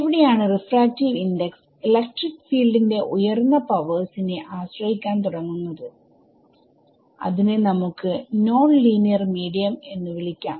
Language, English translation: Malayalam, So, where the refractive index begins to depend on high over powers of electric field then you call that a nonlinear medium ok